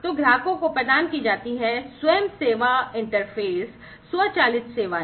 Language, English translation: Hindi, So, you know the customers are provided, self service interfaces, automated services and so on